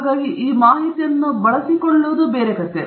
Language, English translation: Kannada, So what this information gets used for is a different story